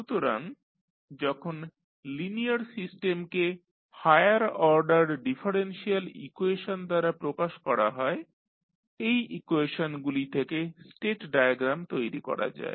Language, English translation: Bengali, So, when the linear system is described by higher order differential equations the state diagram can be constructed from these equations